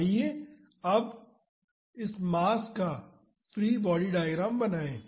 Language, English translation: Hindi, So, let us draw the free body diagram of this disk